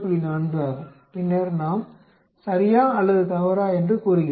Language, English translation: Tamil, 4, then we say either true or false